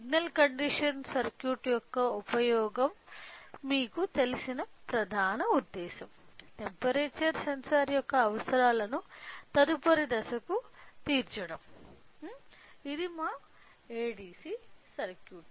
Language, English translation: Telugu, So, the main intention you know the use of signal conditioning circuit is in order to meet the requirements of the temperature sensor to the next stage which is our ADC circuit